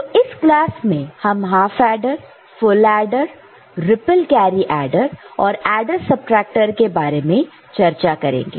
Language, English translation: Hindi, So, we shall discuss half adder, full adder, ripple carry adder and adder subtractor unit in this particular class